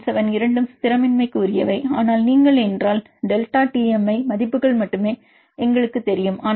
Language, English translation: Tamil, 97 both are destabilizing, but if you are we know the delta only the Tm values, but there is anyway higher than 2 to 3 times higher than the delta G values